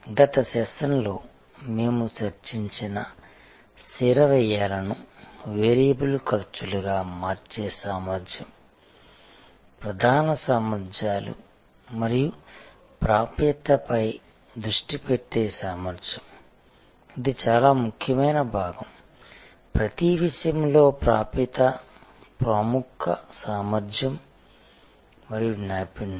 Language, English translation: Telugu, The ability to transform fixed costs into variable costs which we discussed in the last session, the ability to focus on core competencies and access, this is the most important part; access in each case the leading competency and expertise